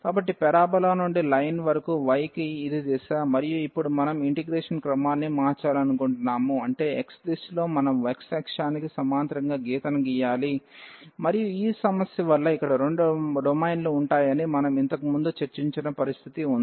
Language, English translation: Telugu, So, this is the direction for the y from the parabola to the line, and now we want to change the order of integration; that means, in the direction of x we have to draw the draw a line parallel to the x axis and again we have that situation which we have discussed earlier, that there will be 2 domains because of this problem here